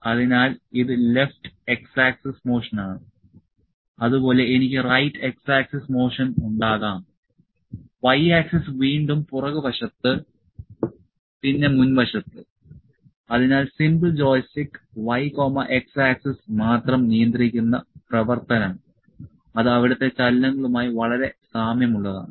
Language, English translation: Malayalam, So, this is left x motion x axis motion and similarly, I can have right x axis motion y axis again back; back side then forward side; so, the simple joystick, the operating that control only y and x axis are very similar to the movements there